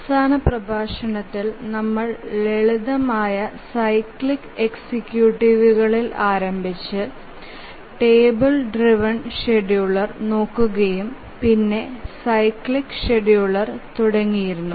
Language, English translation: Malayalam, In the last lecture we started looking at the simple cyclic executives and then we looked at the table driven scheduler and then we had started looking at the cyclic scheduler